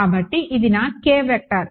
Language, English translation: Telugu, So, this is my k vector